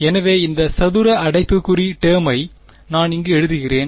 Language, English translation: Tamil, So, this square bracket term I am writing over here